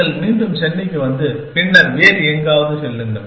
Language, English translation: Tamil, And you come back to Chennai and then, go somewhere else, essentially